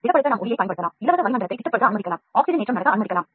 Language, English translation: Tamil, You can use light to solidify, you can allow free atmosphere to solidify, you can allow oxidation to happen